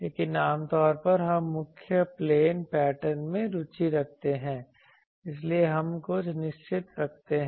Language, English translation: Hindi, But generally we are interested in the principal plane patterns, so we keep some fixed